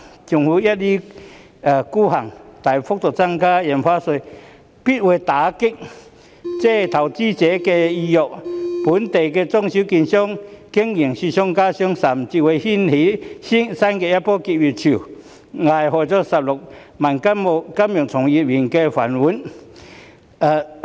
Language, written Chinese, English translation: Cantonese, 政府一意孤行，大幅增加印花稅，必會打擊投資者的意欲，令本地中小型券商的經營雪上加霜，甚至會掀起新一波結業潮，危害16萬名金融從業員的"飯碗"。, The Governments arbitrary insistence on substantially increasing the stamp duty will definitely dampen peoples interest in investment thus making the operation of local small and medium - sized securities brokers even more difficult . It may even trigger a new wave of closure jeopardizing the rice bowls of 160 000 practitioners in the financial sector